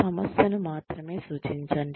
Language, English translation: Telugu, Address only the issues